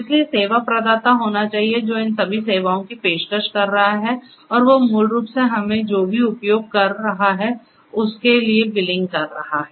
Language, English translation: Hindi, So, there has to be service provider who is offering all these services and he is basically billing us for whatever we are using